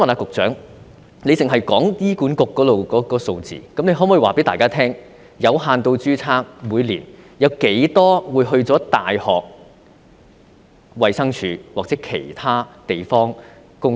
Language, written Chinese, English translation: Cantonese, 局長只提及醫管局的數字，她可否告訴大家，每年有多少名有限度註冊醫生到大學、衞生署或其他地方工作？, The Secretary only mentioned HAs figures . Can she tell everyone how many doctors with limited registration who opt for working in universities DH or other places each year?